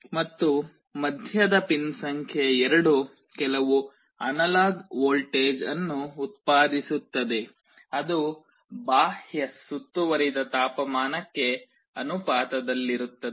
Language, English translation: Kannada, And the middle pin number 2 will be generating some analog voltage that will be proportional to the external ambient temperature